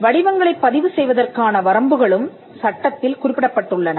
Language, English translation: Tamil, The limits on registration of shapes are also mentioned in the act